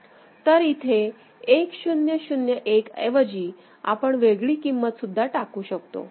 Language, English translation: Marathi, Now instead of 1 0 0 1, you could have loaded any other thing